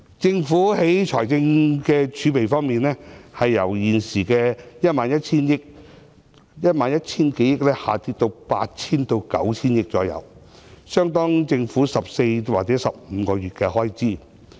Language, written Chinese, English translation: Cantonese, 政府的財政儲備由現時約 11,000 億元下跌至約 8,000 億元至 9,000 億元，相當於政府14或15個月的開支。, The fiscal reserves of the Government will reduce from the current level of about 1,100 billion to around 800 billion to 900 billion which is equivalent to 14 or 15 months of government expenditure